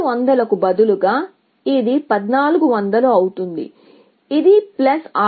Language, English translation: Telugu, Instead of 800, this becomes 1400, which is plus 600